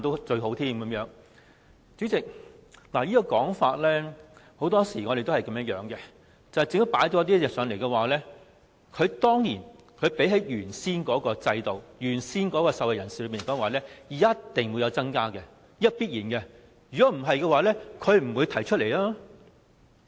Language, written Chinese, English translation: Cantonese, 代理主席，對於這個說法，很多時我們都會這樣想，政府提出的議案一定會比原先的制度好、受惠人數一定較原先的多，這是必然的，否則政府亦不會提出來。, Deputy President in respect of such a view we often think that the proposal put forward by the Government must be better than the original system benefiting more people; otherwise the Government would not have made the proposal